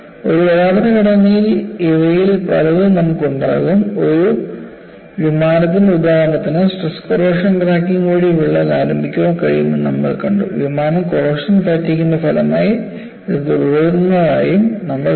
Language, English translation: Malayalam, In an actual structure, you will have combination of many of these, for the case of example of an aircraft, we saw that, crack can get initiated by stress corrosion cracking, which proceeds while the aircraft is under taxing as corrosion fatigue